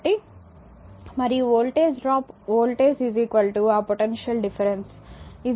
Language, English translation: Telugu, So, and the voltage drop you know voltage is equal to that your potential difference is equal to dw upon dq